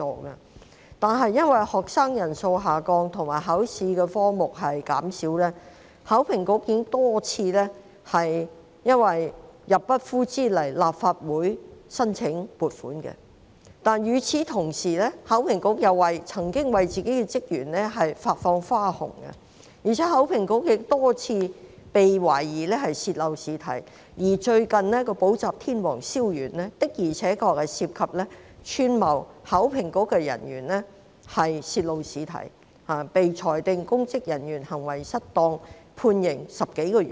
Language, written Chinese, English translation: Cantonese, 由於學生人數下降及考試科目減少，考評局已多次因入不敷支而要向立法會申請撥款，但同時考評局又曾向自己的職員發放花紅，而且亦多次被懷疑泄漏試題，最近就有一名補習天王蕭源因涉及串謀考評局人員泄露試題，被裁定串謀公職人員行為失當罪成，判刑10多個月。, At the same time however HKEAA has issued bonuses to its staff . Moreover leakage of examination questions has been suspected a number of times . Recently Weslie SIAO a tutor king involved in conspiring with officers of HKEAA to leak examination questions was convicted of conspiracy to misconduct in public office and sentenced to imprisonment of more than 10 months